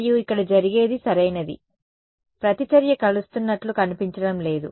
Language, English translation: Telugu, And what happens over here is right the reactance does not seem to converge